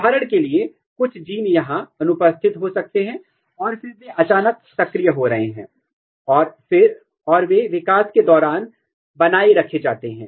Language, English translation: Hindi, For example, some genes might be 0 here and then they are suddenly getting activated and they are maintained across the development